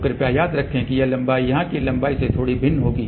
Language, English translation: Hindi, So, please remember this length will be slightly different than this length here